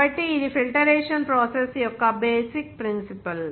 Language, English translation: Telugu, So this is the basic principle of the filtration process